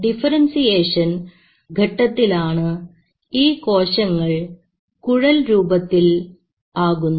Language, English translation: Malayalam, And this differentiation phase is when they are forming these tubes